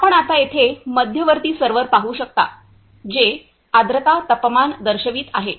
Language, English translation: Marathi, Now, coming to the central server as you can see here, it is show showing humidity, temperature